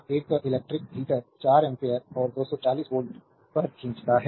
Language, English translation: Hindi, An electric heater draws 4 ampere and at 240 volt